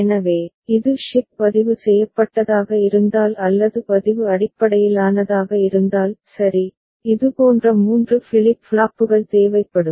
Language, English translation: Tamil, So, if it is shift registered based or register based – well, then three such flip flops will be required